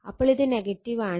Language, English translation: Malayalam, So, it is like this